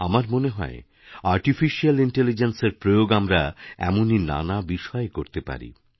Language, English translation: Bengali, I feel we can harness Artificial Intelligence in many such fields